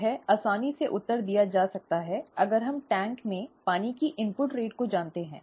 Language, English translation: Hindi, This can be easily answered if we know the input rate of water into the tank